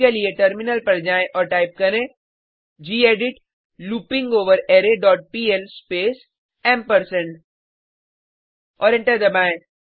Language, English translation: Hindi, Switch to the terminal and type gedit arrayLength dot pl space ampersand Press Enter